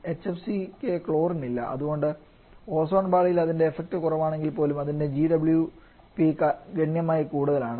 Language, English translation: Malayalam, Though HFC does not have any kind of chlorine in this so they do not have any effect on the Ozone Layer but that has significantly high global warming potential